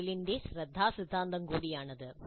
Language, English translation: Malayalam, This is also the attention principle of Merrill